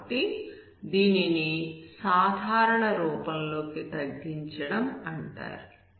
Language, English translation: Telugu, So this is called reducing into normal form